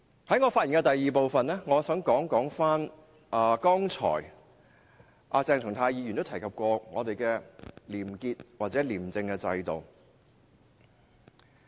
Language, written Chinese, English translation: Cantonese, 在我發言的第二部分，我想討論鄭松泰議員剛才提到的廉潔或廉政制度。, In the second part of my speech I would like to talk about probity or clean system which Dr CHENG Chung - tai has just mentioned